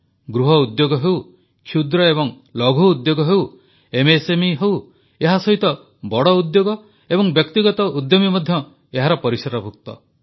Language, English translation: Odia, Be it cottage industries, small industries, MSMEs and along with this big industries and private entrepreneurs too come in the ambit of this